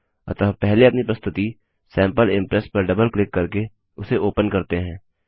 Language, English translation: Hindi, So first, let us open our presentation Sample Impress by double clicking on it